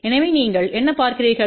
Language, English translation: Tamil, So, what you see